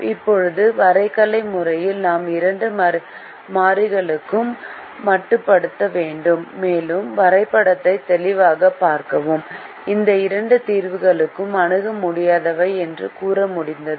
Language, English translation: Tamil, now, in the graphical method, we were restricted to two variables and we were able to clearly look at the graph and say that these two solutions are infeasible